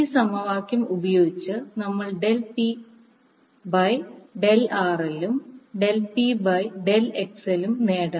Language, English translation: Malayalam, To do this we said del P by del RL and del P by del XL equal to 0